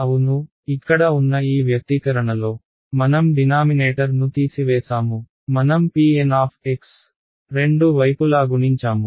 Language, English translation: Telugu, Yeah, removed the denominator right I in this expression over here I just multiplied P N x on both sides right